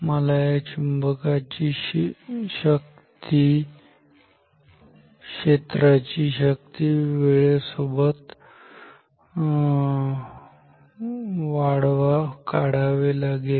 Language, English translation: Marathi, I want to plot the strength of this magnetic field as a function of time ok